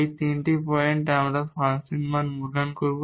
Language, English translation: Bengali, These are the 3 points we will evaluate the function value